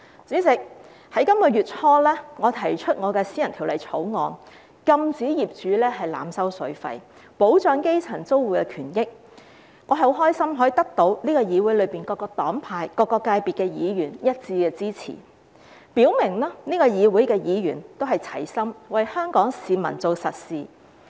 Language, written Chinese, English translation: Cantonese, 主席，在本月初，我提出私人法案，禁止業主濫收水費，保障基層租戶的權益，我很高興能夠得到議會內各個黨派、各個界別議員的一致支持，表明這個議會的議員也是齊心為香港市民做實事。, President early this month I introduced a private bill to prohibit landlords from overcharging water charges and to protect the rights and interests of grass - roots tenants . I am very pleased to have the unanimous support of Members from various political parties and groupings and different sectors in this Council which shows that Members of this Council are united in doing practical work for the people of Hong Kong